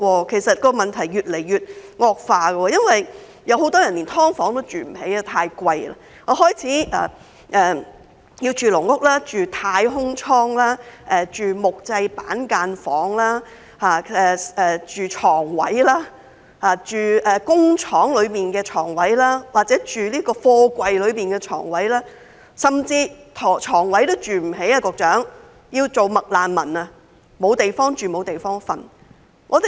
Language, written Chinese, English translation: Cantonese, 其實，問題已經越來越惡化，很多人甚至連"劏房"也住不起，因為太昂貴，他們開始住"籠屋"、"太空艙"、木製板間房、床位、工廠大廈內的床位或貨櫃內的床位，甚至有人連床位也住不起，要做"麥難民"，甚至沒有地方住，沒有地方睡。, The problem is actually deteriorating and many people cannot even afford to live in SDUs because the rent is too high so they have started to live in caged homes capsules wooden cubicles bedspaces or bedspaces in factory buildings or containers . Some who cannot even afford to live in bedspaces have to become McRefugees and some others even have nowhere to live and sleep